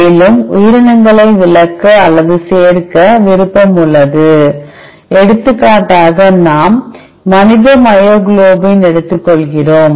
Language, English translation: Tamil, Further there are option to exclude, or include organisms for example, in our case we are taking human myoglobin